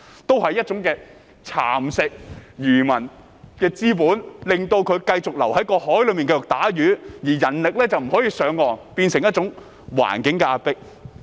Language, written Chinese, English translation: Cantonese, 這也是一種蠶食漁民資本的做法，令他們繼續留在海上捕魚，而人力卻不能上岸，變成一種環境的壓迫。, This was also a way to nibble away at fishermens capital so that they continued to stay at sea to fish and manpower could not shift ashore . As a result they were forced to resign themselves to the conditions of their life